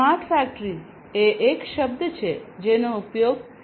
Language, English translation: Gujarati, And smart factory is a term that is used commonly in the context of Industry 4